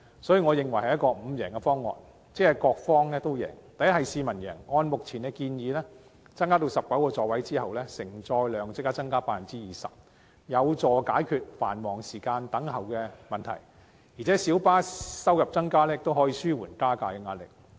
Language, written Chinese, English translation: Cantonese, 所以，我認為這是一個各方都贏的"五贏方案"：第一，市民贏，按照現時建議增至19個座位後，承載量即時增加 20%， 有助解決繁忙時段的輪候問題，而且小巴收入增加亦可以紓緩加價壓力。, Hence I consider it a five - win option for all parties concerned . First members of the public will win . As the carrying capacity of PLBs will instantly be increased by 20 % upon increasing the number of seats to 19 under the current proposal the problem of long waiting time during peak hours will be resolved and the pressure on fare rise will also be relieved with the subsequent increase of revenue of PLBs